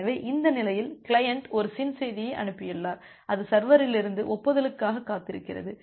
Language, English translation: Tamil, So, at this state, the client has sent a SYN message and it is waiting for the acknowledgement from the server